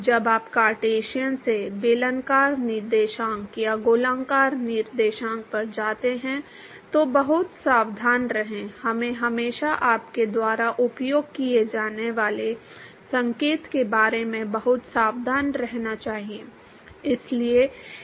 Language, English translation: Hindi, Be very careful when you go from Cartesian to cylindrical coordinates or spherical coordinates, we should always be very careful about the sign that you use